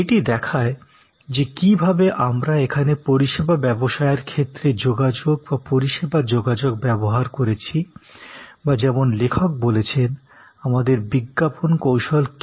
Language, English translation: Bengali, This shows that how service communication or communication in service business, how we have used here or rather the author said use the word advertising strategies